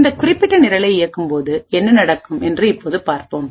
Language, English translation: Tamil, Now let us see what happens when we execute this particular program